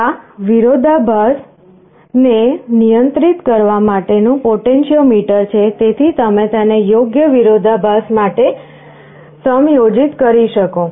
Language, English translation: Gujarati, This is the potentiometer for controlling the contrast, so you can adjust it for a suitable contrast